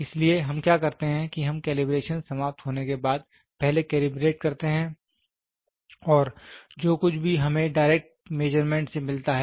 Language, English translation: Hindi, So, what we do is we first calibrate after the calibration is over and whatever we get in the direct measurement